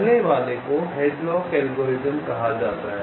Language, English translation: Hindi, let see, the first one is called hadlocks algorithm